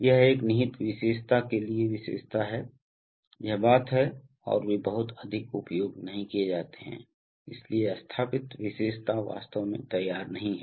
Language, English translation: Hindi, This is the characteristic for inherent characteristic for a, this thing and they are not so much used, so the install characteristic is actually not drawn